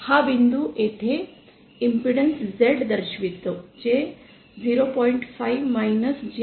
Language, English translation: Marathi, this point here represents our impedance Z given by 0